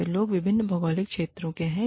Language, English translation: Hindi, These people, belong to different geographical regions